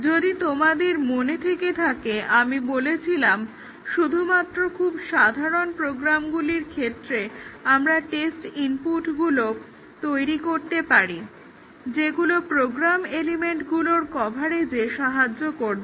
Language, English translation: Bengali, This, if you remember we had said that only for very trivial program, we can develop the test inputs that will cause the coverage of the program elements